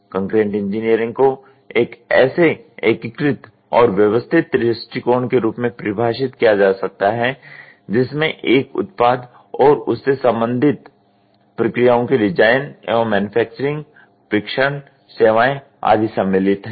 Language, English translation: Hindi, Concurrent engineering can be defined as an integrated and systematic approach to the design of a product and their related processes including manufacturing, testing and services